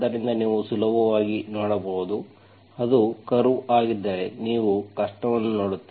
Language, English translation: Kannada, So you can easily see, when that will be a curve, you will see the difficulty